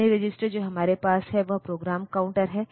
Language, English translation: Hindi, The other register that we have is the program counter